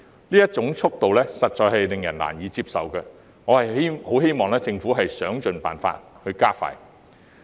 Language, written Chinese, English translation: Cantonese, 這種速度實在令人難以接受，我希望政府會設法加快。, As the progress is too slow to be acceptable I hope that the Government will make an all - out effort to expedite the projects